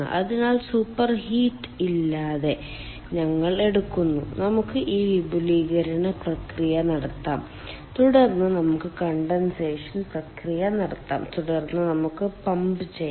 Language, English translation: Malayalam, so this is your boiler pressure, so we take with no superheat at all, we can, we can have this expansion process and then we can have the condensation process, then we can have the pump and then so the cycle which i have shown